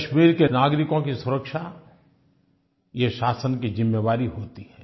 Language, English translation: Hindi, Providing security to people in Kashmir is the responsibility of the administration